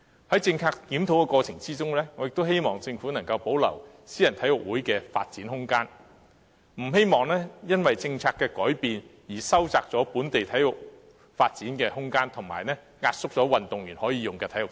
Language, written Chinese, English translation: Cantonese, 在政策檢討的過程中，我亦希望政府能夠保留私人體育會的發展空間，不希望因為政策改變而收窄本地體育的發展空間，以及壓縮運動員可用的體育設施。, I also hope that in the course of policy review the Government can maintain the room for private sports clubs development . I do not hope to see the narrowing of the room for local sports development and a reduction in the sports facilities for athletes due to policy changes